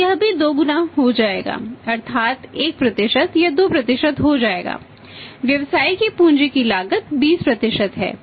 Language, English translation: Hindi, So, it will also become double that is 1% it will become 2% the cost of capital of the business is 20% the cost of capital of the businesses 20%